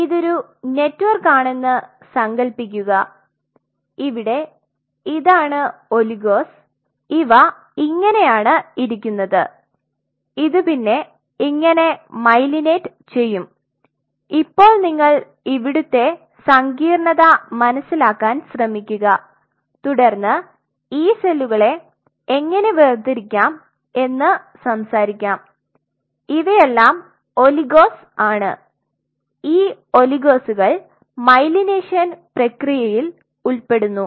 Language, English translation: Malayalam, So, if you imagine this is the three D network within this network you will have oligos which are sitting like this, which will be myelinating this, now try to understand the complexity here and then we will talk about how we are going to separate out these cells these are the oligos these oligos are involved in the myelination process